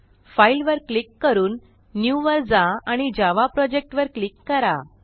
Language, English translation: Marathi, So click on File, go to New and click on Java Project